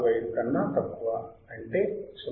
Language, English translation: Telugu, 045 is less than 0